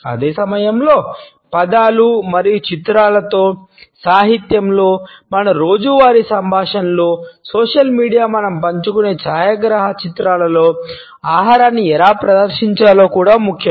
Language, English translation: Telugu, At the same time how food is presented in words and images, in literature, in our day to day dialogue, in the photographs which we share on social media etcetera is also important